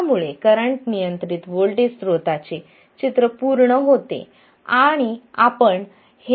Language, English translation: Marathi, This is already a voltage control voltage source